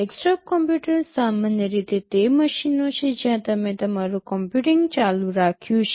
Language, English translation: Gujarati, Desktop computers are typically machines where you have learnt your computing on